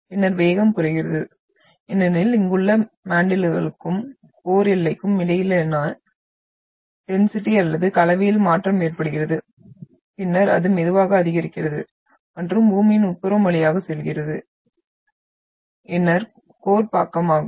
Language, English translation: Tamil, And then you are having further it reduces and then so the velocity reduces because of the change in the density or the composition between the mantle and the core boundary here and then further it slowly increases and so on and passes through the interior of Earth, that is the inner core side